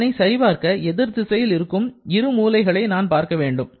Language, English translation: Tamil, For g, you have to identify both the opposite corners